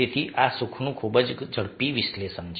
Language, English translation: Gujarati, ok, so this is a very quick analyses of happiness